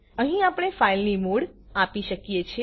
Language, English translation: Gujarati, Here we can give the mode of the file